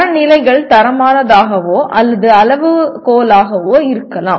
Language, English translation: Tamil, The standards may be either qualitative or quantitative